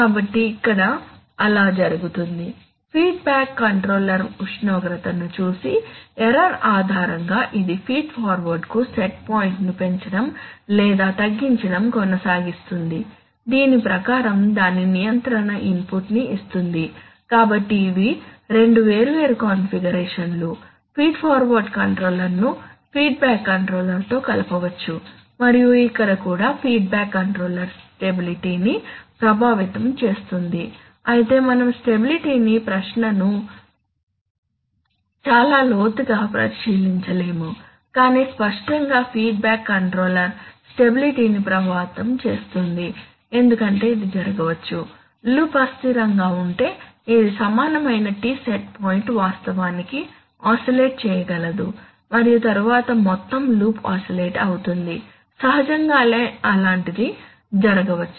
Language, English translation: Telugu, So that is what is being done here, the feedback controller looks at the temperature and because depending on the error it keeps on raising or reducing the set point to the feed forward which gives its control input accordingly, so these are two different configurations in which a feed forward, feed forward controller can be combined with feedback controller and here also the feedback controller can affect stability anyway we are not examining the stability question very in depth but obviously the feedback controller can affect stability because it can happen, if the, if the loop becomes unstable then this then the equivalent T set point can actually oscillate and then the whole loop will oscillates obviously naturally says such a thing can happen although we are not examining it in detail here, questions like stability are difficult to not so easy to analyze